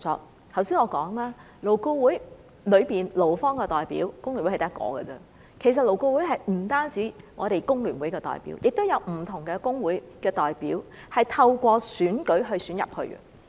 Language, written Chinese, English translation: Cantonese, 我剛才已說過，勞顧會中的勞方代表，工聯會只佔一席，其實勞顧會不止有工聯會的代表，也有不同工會的代表，他們是透過選舉加入的。, Just as I mentioned before FTU is only one of the parties representing employees at LAB . Actually there are representatives from various trade unions other than FTU and they are returned to LAB through election